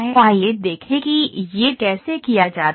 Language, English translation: Hindi, Let us see how it is done